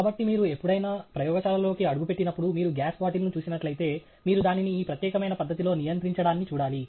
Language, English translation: Telugu, So, any time you walk in to a lab, if you see a gas bottle, you should see it restrained in this particular manner